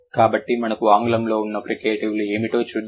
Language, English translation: Telugu, So, let's see what are the fricatives that we have in English